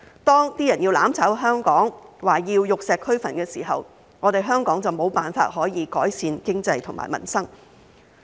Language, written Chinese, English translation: Cantonese, 當有人要"攬炒"香港，說要玉石俱焚的時候，香港就無法改善經濟和民生。, Hong Kong will not be able to improve its economy and peoples livelihood when there are those who want to burn with Hong Kong saying that they want the destruction of all